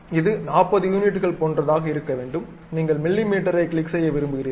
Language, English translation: Tamil, This one supposed to be something like 40 units you would like to have mm click ok